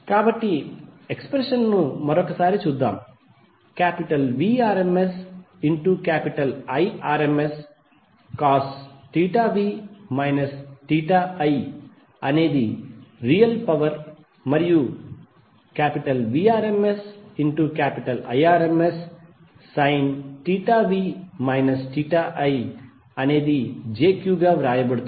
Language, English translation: Telugu, So let’s look at the expressions once again Vrms Irms cos theta v minus theta i would be the real power and jVrms Irms sine theta v minus theta i will be written as j cube